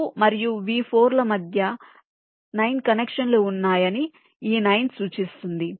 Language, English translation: Telugu, this nine indicates there are nine connections between v two and v four